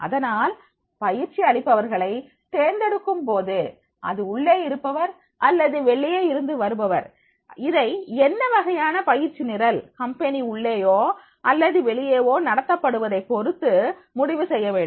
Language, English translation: Tamil, So therefore in the selection of the trainer, whether from the inside or outside that has to be decided on the basis of that what type of the training program that is the inside or outside of the company